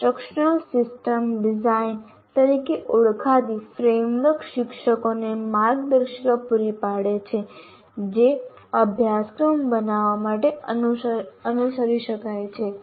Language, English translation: Gujarati, And framework known as instructional system design, we will explain it later what ISD is, provides guidelines teacher can follow in order to create a course